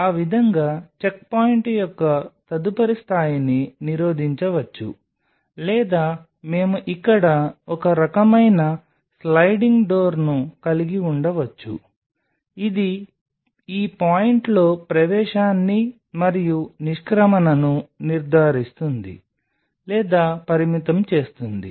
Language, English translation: Telugu, So, that way that will prevent a further level of checkpoint or we could have kind of a sliding door out here which will ensure or restrict entry and the exit along this point